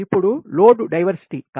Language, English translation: Telugu, right now, load diversity